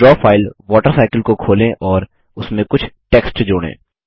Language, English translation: Hindi, Let us open the Draw file Water Cycle and add some text to it